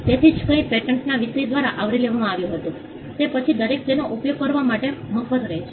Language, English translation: Gujarati, So, whatever was covered by the subject matter of a patent, will then be free for everybody to use it